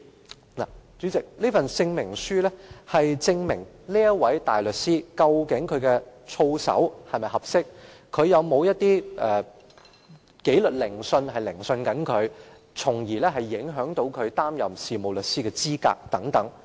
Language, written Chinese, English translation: Cantonese, 代理主席，這證明書是用作證明該名大律師的操守是否合適，以及是否正在接受任何紀律研訊，以致影響其擔任事務律師的資格等。, Deputy President this certificate is used to prove whether the barrister concerned is a fit and proper person and whether he is undergoing any disciplinary inquiry that affects his eligibility to practise as a solicitor